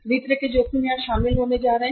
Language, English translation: Hindi, All kind of the risk are going to be covered here